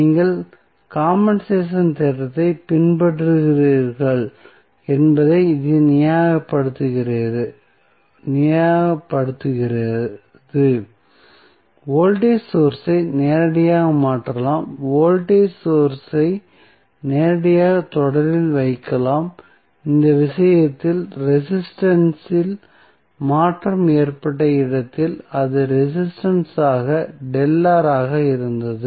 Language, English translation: Tamil, So, this justifies that, when you follow the compensation theorem, you can directly replace the voltage source, directly placed voltage source in series with the at the resistance where the change in resistance happened in this case it was delta R